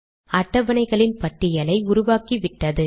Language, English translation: Tamil, We can create a list of tables automatically